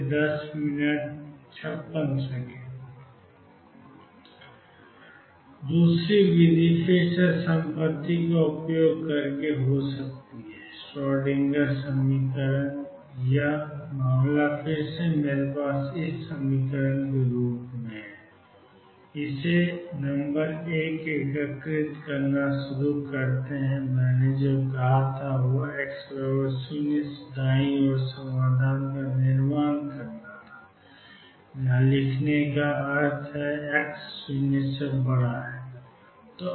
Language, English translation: Hindi, The other method could be again using the property is the solution is the Schrodinger equation and this case again I have psi 0 equals 0 psi L equals 0 x equals 0 x equals L number 1 start integrating or what I say building up the solution from x equals 0 to the right, where write means x greater than 0